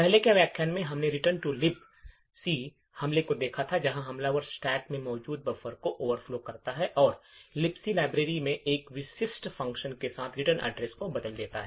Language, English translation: Hindi, In the earlier lecture we had looked at Return to Libc attack where the attacker overflows a buffer present in the stack and replaces the return address with one specific function in the Libc library